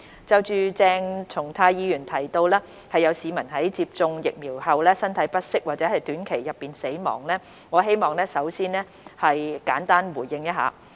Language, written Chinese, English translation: Cantonese, 就鄭松泰議員提到有市民在接種疫苗後身體不適，或於短期內死亡，我希望先作出簡單回應。, With regards to Dr CHENG Chung - tais point that some citizens felt unwell or passed away within a short period of time after receiving the vaccine I wish to provide a simple response